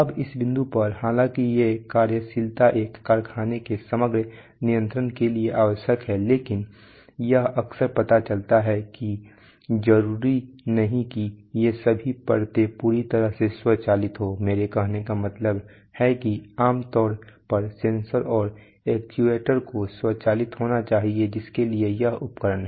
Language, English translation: Hindi, Now at this point we should, I should mention that while these functionalities are necessary for the overall control of a factory but it often turns out that that, that not necessarily all these layers are perfectly automated what I mean to say is that generally, Sensors and actuators must be automated, there is, there are equipment for it